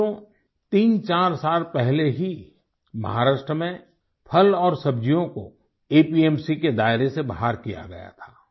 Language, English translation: Hindi, Friends, about three or four years ago fruits and vegetables were excluded from the purview of APMC in Maharashtra